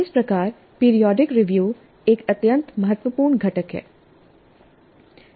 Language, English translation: Hindi, Thus, the periodic review is an extremely important component